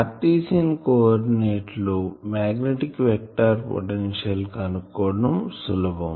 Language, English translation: Telugu, So, it is easier to find out magnetic vector potential in Cartesian coordinate